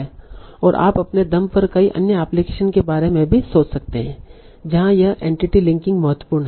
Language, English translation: Hindi, So you can also think of many other applications on your own where this entity linking is important